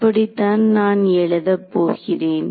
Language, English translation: Tamil, That is how I am going to write it